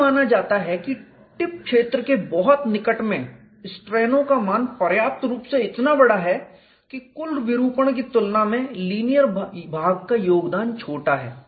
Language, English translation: Hindi, It is assumed that in the very near tip region the strains are large enough that the contribution of the linear portion is small compared with the total deformation